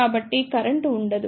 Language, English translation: Telugu, So, there is no current